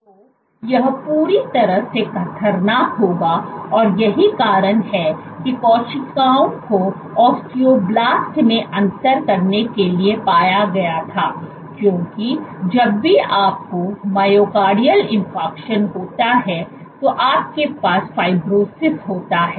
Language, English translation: Hindi, So, this would be completely dangerous and the reason why the cells were found to differentiate into osteoblasts was because whenever you have myocardial infarction you have fibrosis